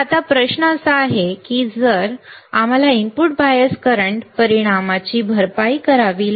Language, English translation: Marathi, So, now the question is if that is the case we have to compensate the effect of input bias current right